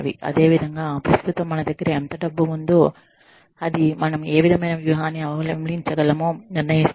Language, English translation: Telugu, Similarly, how much money, we have currently will determine, what kind of strategy, we can adopt